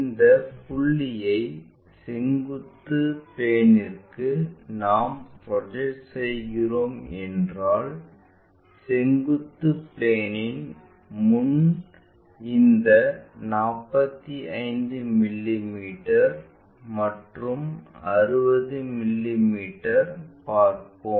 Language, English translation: Tamil, If we are projecting this point on to vertical plane we will see this 45 mm and 60 mm in front of vertical plane